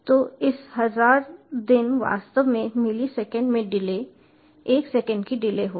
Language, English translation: Hindi, so this thousand days, actually the delay in milliseconds will put of a delay of one second